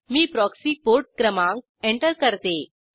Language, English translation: Marathi, I will enter proxy port number